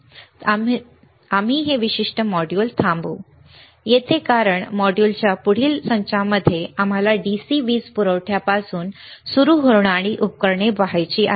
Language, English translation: Marathi, So, we will stop the this particular module, right; Over here because in next set of modules, we want to see the equipment starting from the DC power supply